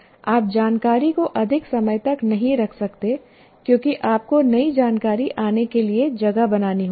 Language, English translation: Hindi, You cannot keep information for a long period because you have to make space for the new information to come in